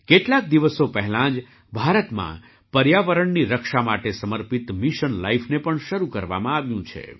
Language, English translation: Gujarati, A few days ago, in India, Mission Life dedicated to protect the environment has also been launched